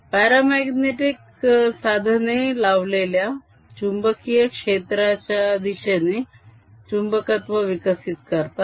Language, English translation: Marathi, paramagnetic materials develop a magnetization in the direction of applied field